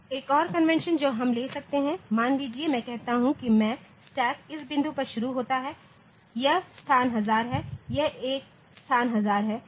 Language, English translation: Hindi, Another convention that we can have is say suppose I say that my stack starts at this point it is the location 1000, it is a location 1000